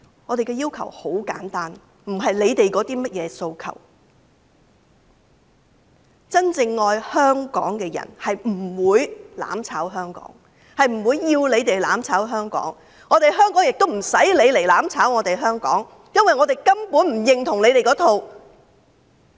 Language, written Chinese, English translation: Cantonese, 我們的要求很簡單，並非他們所說的甚麼訴求，因為真正愛香港的人不會"攬炒"香港，亦不會要求其他人"攬炒"香港，香港亦不用他們"攬炒"，因為我們根本不認同這一套。, Our request is very simple . It is not that kind of demands mentioned by them because people who truly love Hong Kong will not seek mutual destruction in Hong Kong . Neither will they ask other people to do so